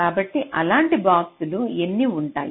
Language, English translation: Telugu, so how many of such boxes will be there